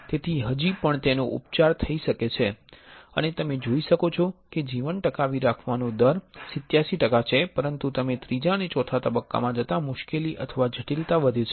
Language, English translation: Gujarati, So, still it can be cured and you can see that survival rate is 87 percent, but as you go to stage III and IV the difficulty or complexity increases